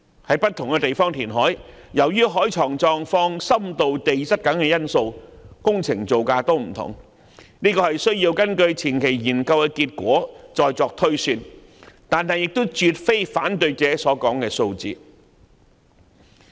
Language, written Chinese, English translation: Cantonese, 在不同地方填海，由於海床的狀況、深度和地質等因素，工程造價也會有所不同，必須根據前期研究結果再作推算，但亦絕非反對者所說的數字。, The works costs of reclamation projects vary from one location to another due to various factors such as the conditions depth and geology of the seabed and a cost estimate must be made on the basis of preliminary study findings . But it is definitely not the figure asserted by those opposing it